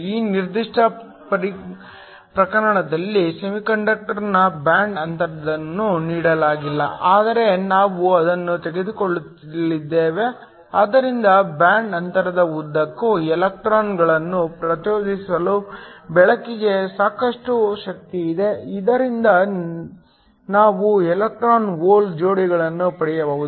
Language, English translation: Kannada, In this particular case the band gap of the semiconductor is not given, but we are going to take it such that the light has sufficient energy to excite electrons across the band gap so that we can get electron hole pairs